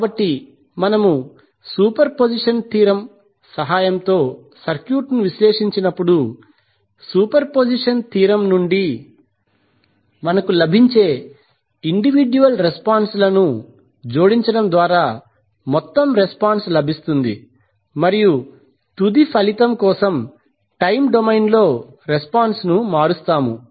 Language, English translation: Telugu, So when we will analyze the circuit with the help of superposition theorem the total response will be obtained by adding the individual responses which we get from the superposition theorem and we will convert the response in time domain for the final result